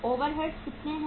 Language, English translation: Hindi, Overheads are how much